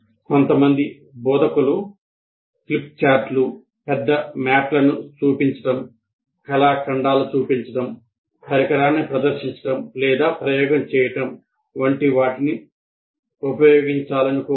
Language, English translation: Telugu, And some instructors may wish to use big things like flip chart, show large maps, show artifacts, demonstrate a device, or conduct an experiment